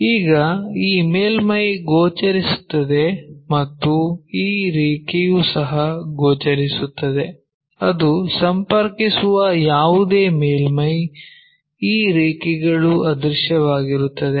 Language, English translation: Kannada, Now, this surface is visible this surface is visible and this line is also visible, the surface whatever it is connecting; so, this one whereas, these lines are invisible